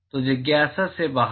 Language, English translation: Hindi, So, out of curiosity